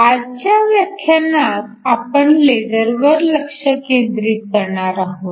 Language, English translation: Marathi, Today, we are going to look at LASERs